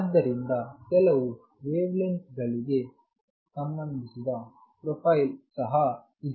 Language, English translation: Kannada, So, there is some wavelength associated, but there is also profile